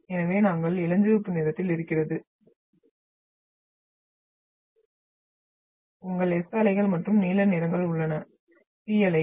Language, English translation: Tamil, So we are having the pink one is your S waves and blue ones are your P waves